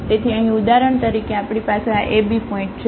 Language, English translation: Gujarati, So, here for example, we have this ab point